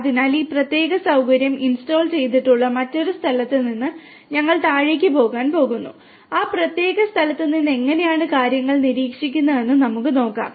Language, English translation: Malayalam, So, we are going to go downstairs at the other location from where this particular facility has been installed and we can have a look at how things are being monitored from that, that particular location